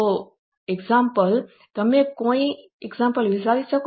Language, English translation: Gujarati, So, example, can you think of any example